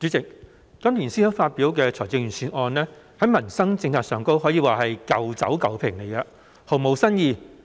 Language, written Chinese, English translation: Cantonese, 主席，今年財政司司長發表的財政預算案在民生政策方面可說是"舊酒舊瓶"，毫無新意。, President in respect of policies on peoples livelihood the Budget released by the Financial Secretary this year can be described as putting old wine in an old bottle without any new ideas